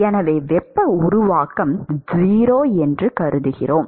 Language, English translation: Tamil, So, supposing if I assume that the heat generation is 0